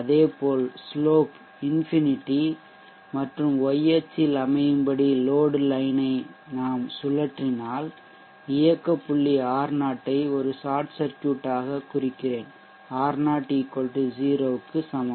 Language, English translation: Tamil, Similarly if we rotate the load line such that the slope is infinite and aligned along the y axis then the operating point represents R0 as a short circuit R0 is equal to 0